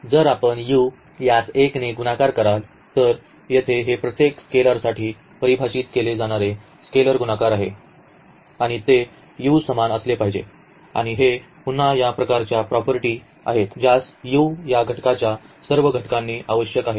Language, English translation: Marathi, So, this is again here the scalar multiplication which must be defined for each this set here and it must be equal to u and this is again kind of a property which all the elements of this u must satisfy